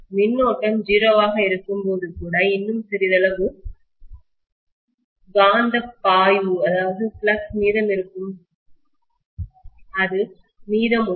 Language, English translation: Tamil, Even when the current is 0, I will still have some amount of magnetic flux left over, that is remaining